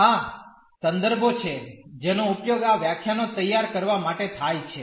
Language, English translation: Gujarati, These are the references which are used to prepare these lectures